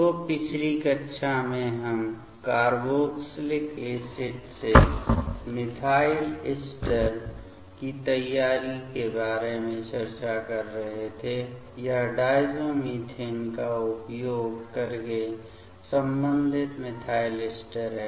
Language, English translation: Hindi, So, last class we were discussing about the preparation of methyl ester from carboxylic acid to it is corresponding methyl ester using the diazomethane ok